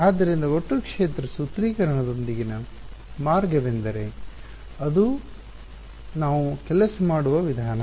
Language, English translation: Kannada, So, that is the that is the way with the total field formulation that is how we will work